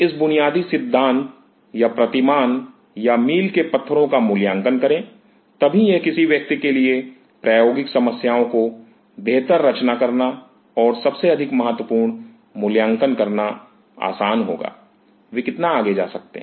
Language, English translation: Hindi, Appreciate these basic philosophies or the paradigm or the mile stones, then it will be easy for that individual to design the problems in better and most importantly to appreciate; how far they can go